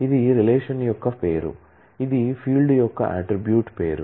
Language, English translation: Telugu, This is the name of the relation; this is the name of the attribute name of the field